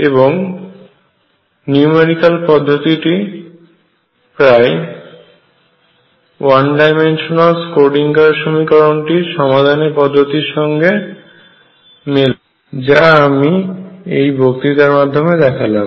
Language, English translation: Bengali, And then the technique the numerical technique therefore, is exactly the same as for the 1 dimensional Schrödinger equation that is what I have discussed in this lecture